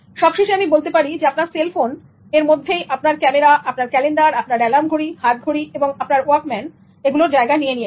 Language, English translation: Bengali, Finally, I concluded with the thought that your cell phone has already replaced your cameras, your calendar, your alarm clock, your watch and your Walkman